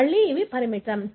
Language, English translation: Telugu, Again, these are limited